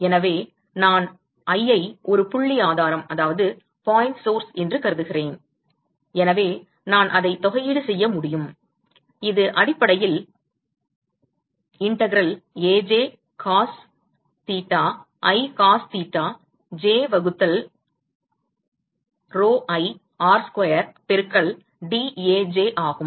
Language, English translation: Tamil, So, I have assumed that i is a point source, so, I can simply integrate it out and this is essentially integral Aj cos theta i cos theta j divided by pi R square into dAj